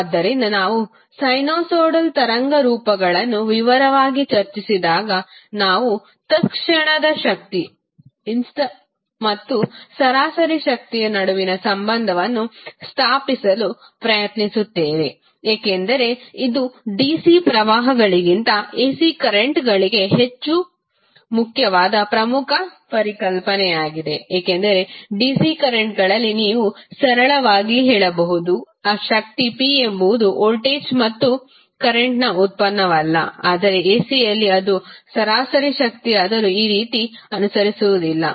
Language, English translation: Kannada, So, when we will discuss in detail the sinusoidal waveforms we will try to establish the relation between instantaneous power and average power because that is also the important concept which is more important for ac currents rather than dc currents because in dc currents you can simply say that power p is nothing but a product of voltage and current but in ac it does not atleast for average power it does not follow like this